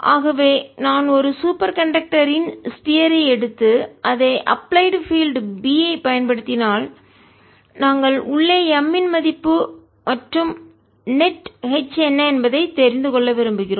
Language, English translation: Tamil, so if i take a sphere of superconductor and put in an applied field b applied, we would like to know what is m inside and what is the net h